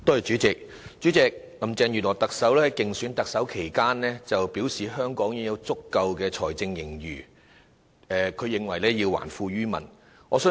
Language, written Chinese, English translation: Cantonese, 主席，特首林鄭月娥在競選特首期間表示香港有足夠財政盈餘，因此要還富於民。, President Chief Executive Carrie LAM indicated during her election campaign that wealth had to be returned to the people as Hong Kong had an adequate fiscal surplus